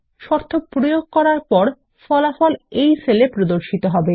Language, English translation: Bengali, The conditions result will be applied and displayed in this cell